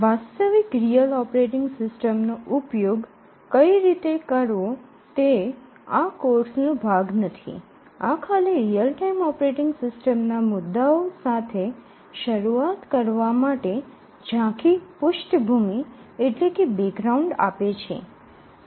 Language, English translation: Gujarati, The practice using a actual real operating system is not part of this course, it just gives an overview background to get started with real time operating system issues